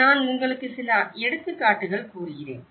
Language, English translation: Tamil, A few examples I can give you